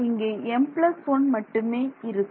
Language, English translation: Tamil, There will only be a m plus 1